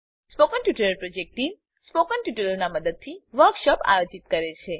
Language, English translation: Gujarati, The Spoken Tutorial project team conduct workshops using Spoken Tutorials